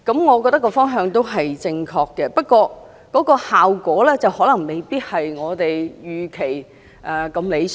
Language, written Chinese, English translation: Cantonese, 我認為方向是正確的，不過，效果可能未必如我們預期般理想。, I consider that the move is in the right direction . Nevertheless the outcome will not be as ideal as we expect